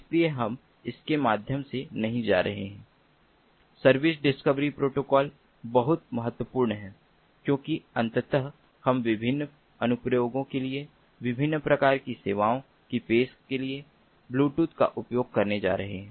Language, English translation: Hindi, service discovery protocol is very important because ultimately we are going to use bluetooth for offering different types of services to different applications